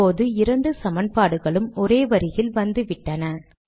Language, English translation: Tamil, Now what has happened is that both the equations have come on the same line